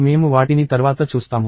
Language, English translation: Telugu, We will see them later